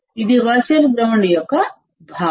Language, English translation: Telugu, This is the concept of virtual ground